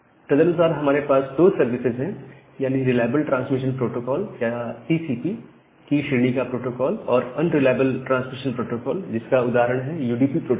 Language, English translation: Hindi, And accordingly we have two services like a reliable transmission protocol or TCP kind of protocol and the unreliable transmission protocol like a which is UDP protocol